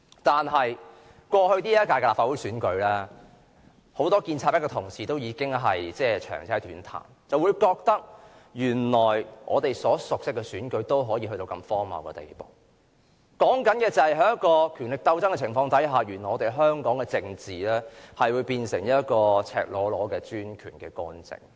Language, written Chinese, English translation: Cantonese, 但是，在過去的這屆立法會選舉，很多建制派的同事已長嗟短嘆，覺得原來我們所熟悉的選舉竟然可達如此荒謬的地步；所說的就是在權力鬥爭的情況下，原來我們香港的政治會變成赤裸裸的專權干政。, Yet in the recent Legislative Council Election many pro - establishment camp Members just could not help sighing when they realized that such absurdity could really happen to an electoral system so familiar to us . The absurdity I am talking about is the fact that as a result of power struggle Hong Kong politics could really be subjected to such blatant and autocratic intervention